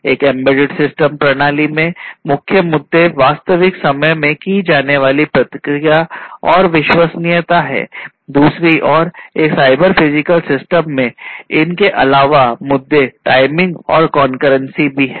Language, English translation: Hindi, In an embedded system, the main issues are real time response and reliability, on the other hand in a cyber physical system in an addition to these the main issues are timing and concurrency